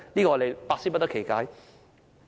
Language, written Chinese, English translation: Cantonese, 我們百思不得其解。, We really cannot understand why